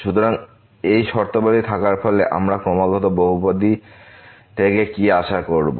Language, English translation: Bengali, So, having these conditions what do we expect from such a polynomial